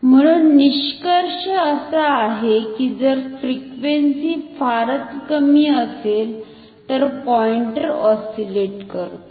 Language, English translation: Marathi, So, the conclusion is that if the frequency is very low, then the pointer oscillates